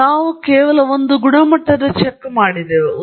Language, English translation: Kannada, And then, of course, we just did a quality check